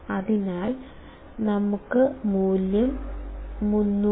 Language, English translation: Malayalam, Our value is 300